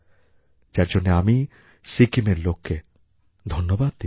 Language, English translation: Bengali, For this, I heartily compliment the people of Sikkim